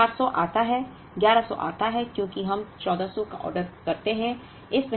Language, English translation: Hindi, Now, 400 comes, 1100 comes because we order 1400